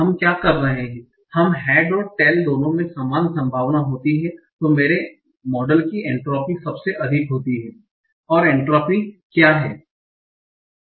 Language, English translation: Hindi, So what we are saying when both head and tail have equal probability, then the entropy of my model is the highest